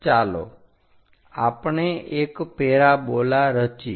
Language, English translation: Gujarati, That gives us parabola